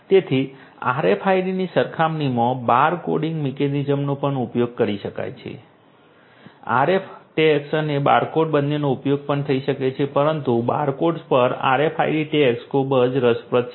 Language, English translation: Gujarati, So, compared to RFIDs bar coding mechanisms could also be used both RFID tags and barcodes they could also be used but RFID tags over barcodes is something that is very interesting